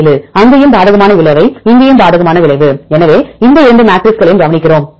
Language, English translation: Tamil, 7 there also adverse effect here also adverse effect; so we look into these two matrices